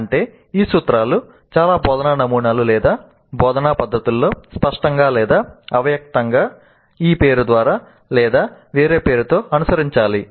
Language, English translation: Telugu, That means that these principles must be the ones followed in most of the instructional models or instructional methods either explicitly or implicitly by this name or by some other name